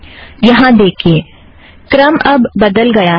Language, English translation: Hindi, Note that the ordering has changed now